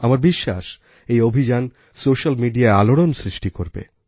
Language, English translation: Bengali, And I know that all these campaigns will make a big splash on social media